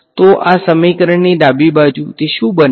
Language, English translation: Gujarati, So, the left hand side of this equation, what does it become